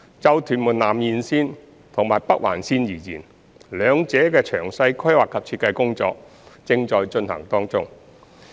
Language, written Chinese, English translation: Cantonese, 就屯門南延綫及北環綫而言，兩者的詳細規劃及設計工作正在進行中。, In respect of the TMS Extension and the NOL the detailed planning and design for both projects is in progress